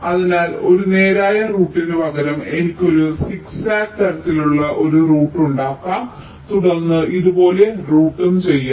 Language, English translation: Malayalam, so instead of a straight router maybe i can make a zig zag kind of a rout and then rout like this